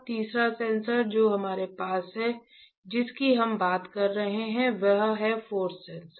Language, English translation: Hindi, The third sensor that we have, we were talking about is a force sensor, right